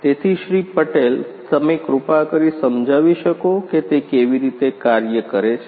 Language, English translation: Gujarati, Patel could you please explain how it works